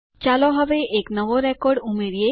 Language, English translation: Gujarati, Now let us add a new record